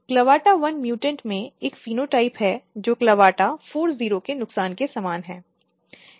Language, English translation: Hindi, In clavata1 mutant, this shows a phenotype which is very similar to loss of CLAVATA40